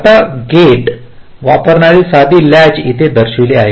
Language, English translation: Marathi, now a simple latch that uses gates is shown here